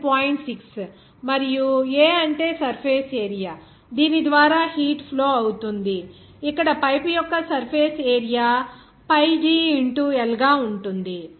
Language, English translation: Telugu, 6 here and A means surface area through which actually heat is transpiring, in this case the surface area of the pipe will be pi d into L